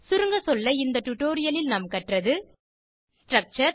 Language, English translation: Tamil, In this tutorial we learned, Structure